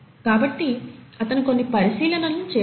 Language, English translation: Telugu, So he made a few observations